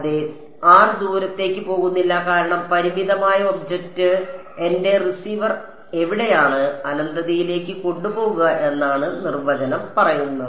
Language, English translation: Malayalam, Yeah r does not go far because the finite object, r prime is where my receiver is and the definition says take r prime to infinity